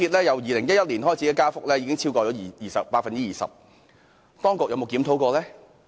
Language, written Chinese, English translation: Cantonese, 由2011年至今，港鐵票價已增加超過 20%， 當局曾否進行檢討呢？, Since 2011 MTR fares have increased by over 20 % but have the authorities conducted any review?